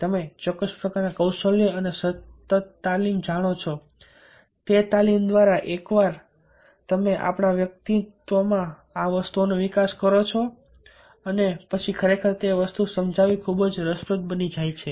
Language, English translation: Gujarati, one needs certain kind of you know skills and continuous training, and once you develop these things in our personality then really it becomes quite interesting